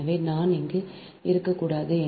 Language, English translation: Tamil, so this i should not be there